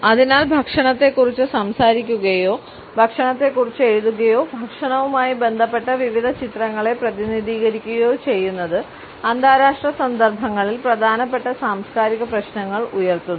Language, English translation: Malayalam, And therefore, talking about food or writing about food or representing various images related with food raise important cultural issues in international contexts